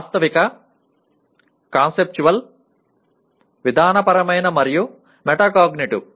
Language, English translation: Telugu, Factual, Conceptual, Procedural, and Metacognitive